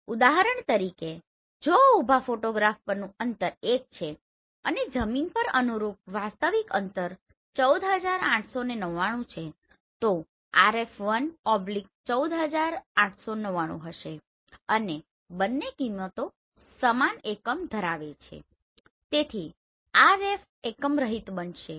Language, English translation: Gujarati, For example, if the distance on a vertical photograph is 1 and the corresponding actual distance on the ground is 14,899 then the RF will be 1/14,899 both values are having same unit so RF will be unit less